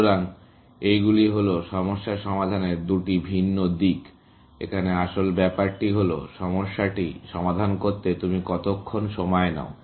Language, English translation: Bengali, So, these are the two different aspects of problem solving; one is, how long do you take to solve the problem